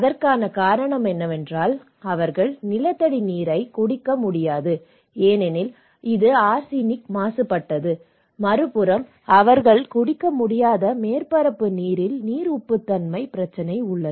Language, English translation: Tamil, The reason is that they cannot drink arsenic water, groundwater because it is arsenic contaminated, on the other hand, they have a problem of water salinity that is surface water they cannot drink